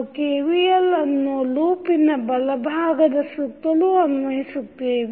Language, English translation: Kannada, We will apply KVL around the left hand loop so this is the left hand loop